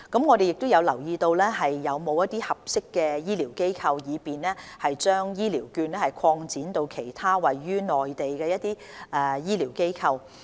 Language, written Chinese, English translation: Cantonese, 我們亦有留意是否有合適的醫療機構，以便將醫療券擴展至其他位於內地的醫療機構。, We have also considered whether there are suitable medical institutions for extending the use of HCVs on the Mainland